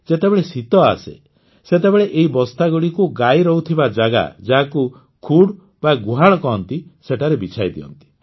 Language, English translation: Odia, When winter comes, these sacks are laid out in the sheds where the cows live, which is called khud here